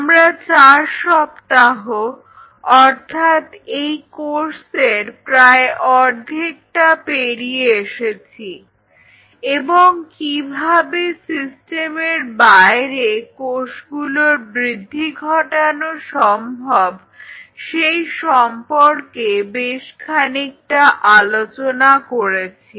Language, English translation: Bengali, We have finished 4 weeks halfway through the course and there are quite a lot we have discussed and shared regarding how to grow the cells outside the system